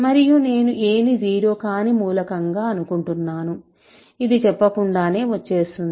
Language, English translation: Telugu, And I am assuming a is nonzero, that goes without saying, right